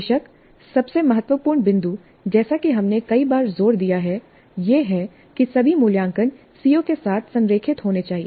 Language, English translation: Hindi, Of course, the most important point as we have emphasized many times is that all assessment must be aligned to the COs